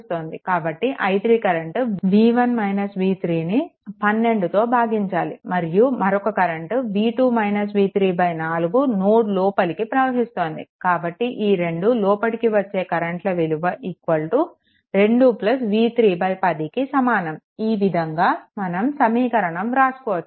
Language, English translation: Telugu, So, i 3 that is your v 1 minus v 3 upon 12, then another current is entering that is v 2 minus v 3 upon 4 this one this 2 current are entering is equal to 2 plus v 3 upon 10 this way you can write the equation those things are there later